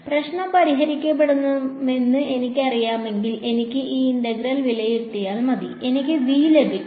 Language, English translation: Malayalam, If I knew it the problem would be done then I just have to evaluate this integral and I will get V